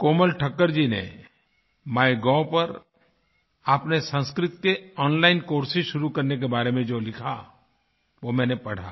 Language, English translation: Hindi, I read a post written on MyGov by Komal Thakkar ji, where she has referred to starting online courses for Sanskrit